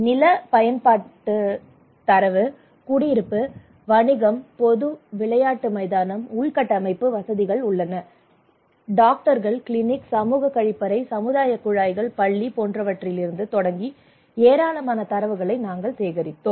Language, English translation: Tamil, We collected a lot of data there starting from land use data, residential, commercial, public, playground, infrastructure what are the infrastructures are there, Doctors clinic, community toilet, community taps, school